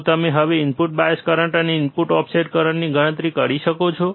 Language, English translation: Gujarati, Can you now calculate input bias current and input offset current